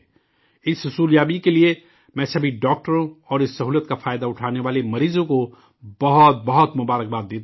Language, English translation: Urdu, For this achievement, I congratulate all the doctors and patients who have availed of this facility